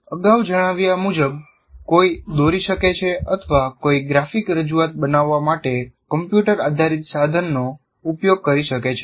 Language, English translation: Gujarati, As I said, one can sketch or one can use a computer based tool to create your graphic representations